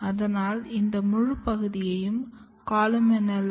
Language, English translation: Tamil, So, this entire region is columella